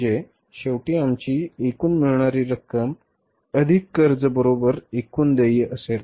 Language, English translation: Marathi, So, it means finally our total receipts plus borings will be equal to the payments